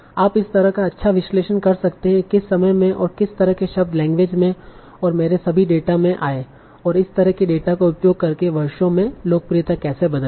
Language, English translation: Hindi, So you can do nice sort of analysis of what kind of words came into the language or my data in what times and how the popularity changed over the years by using these kind of data